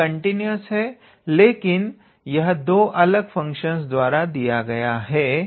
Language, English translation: Hindi, So, f is of course it is continuous, but it is given with the help of two different functions